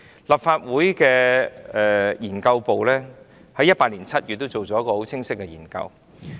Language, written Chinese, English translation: Cantonese, 立法會秘書處資料研究組在2018年7月進行了一項很清晰的研究。, The Research Office of the Legislative Council Secretariat conducted an unambiguous research in July 2018